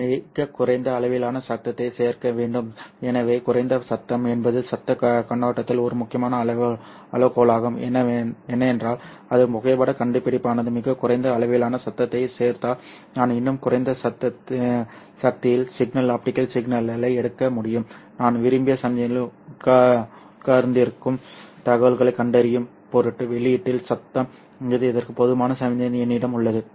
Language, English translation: Tamil, So low noise is one of the important criteria from the noise perspective because if my photo detector adds very low amount of noise then I will be able to take the signal optical signal at very low powers yet I have sufficient signal to noise ratio at the output in order for me to detect information sitting in my desired signal